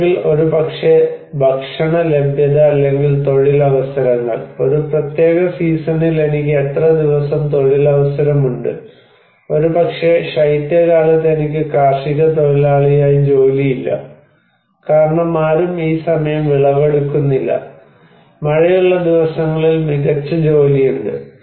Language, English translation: Malayalam, Or maybe the food availability or employment opportunity, how many days I have employment opportunity in a particular season, maybe in winter I do not have any job in as agricultural labor because nobody is harvesting this time and we have better job during rainy days